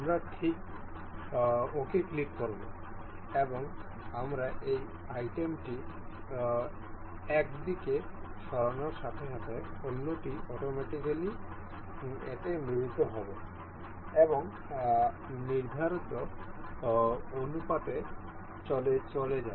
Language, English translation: Bengali, We will click ok and as we move this item to in one direction, the other one automatically couples to that and move in the prescribed ratio